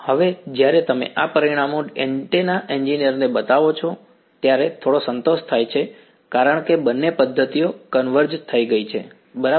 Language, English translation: Gujarati, Now, when you show these results to an antenna engineer, there is some satisfaction because both methods have converged right